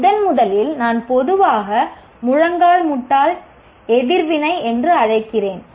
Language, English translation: Tamil, That is the first what I call generally knee jerk reaction